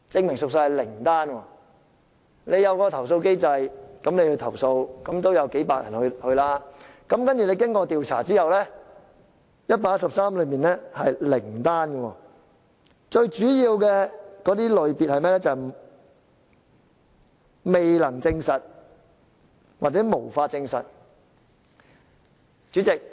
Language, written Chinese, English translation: Cantonese, 由於設有投訴機制，所以有數百人提出投訴，但經調查後卻只有零宗實屬，而投訴個案一般都屬於"未能證實"或"無法證實"的類別。, Complaint mechanisms have been put in place and hundreds of prison inmates lodged complaints but none of the complaint case was substantiated after investigation and most of them are classified as Not Proven or Unsubstantiated